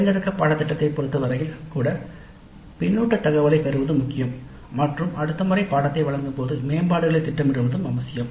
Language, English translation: Tamil, Even with respect to the electric course, it is important to get the feedback data and plan for improvements in the implementation of the course the next time it is offered